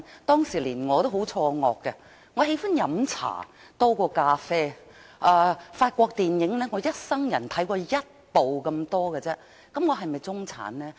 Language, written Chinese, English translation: Cantonese, 當時連我也很錯愕，我喜歡喝茶多於咖啡，而我一生人只看過一部法國電影而已，那麼我是否中產呢？, Many people even me were taken by surprise . I like tea more than coffee and in all my life I have watched only one French movie . Do I belong to the middle class then?